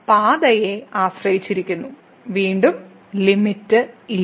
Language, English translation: Malayalam, Therefore, the limit depends on the path and again, this limit does not exist